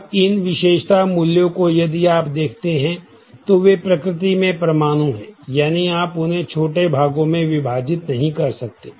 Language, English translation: Hindi, Now, these attribute values if you look at they are atomic in nature that is you cannot divide them into smaller parts